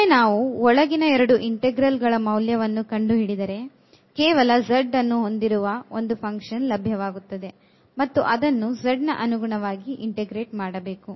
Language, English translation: Kannada, So, once we have the evaluation of the inner 2 integral that we are getting like a function of z and now we will integrate with respect to z